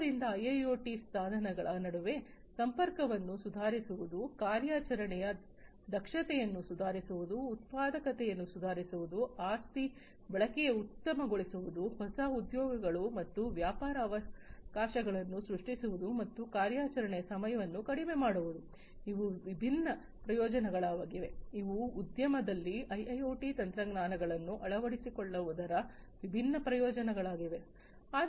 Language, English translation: Kannada, So, these are different benefits of IIoT improving connectivity among devices, improving operational efficiency, improving productivity, optimizing asset utilization, creating new job,s and business opportunities, and reducing operation time, these are the different benefits of the adoption of IIoT technologies in the industry